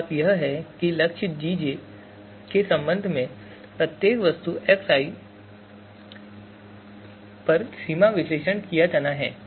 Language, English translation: Hindi, So one thing is that extent analysis is to be performed on each object xi with respect to goal Gj